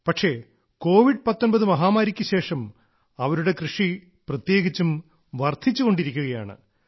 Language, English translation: Malayalam, But its cultivation is increasing especially after the COVID19 pandemic